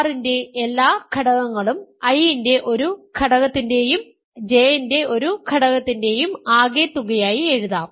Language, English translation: Malayalam, So, remember I plus J is equal to R means every element of R can be written as the sum of an element of I and an element of J